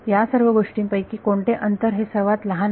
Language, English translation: Marathi, Of all of these things which of the distances is the shortest